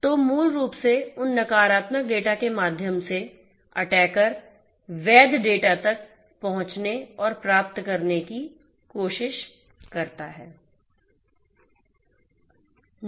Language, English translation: Hindi, So, basically through this those negative data, basically the attacker tries to get in and get access to the legitimate data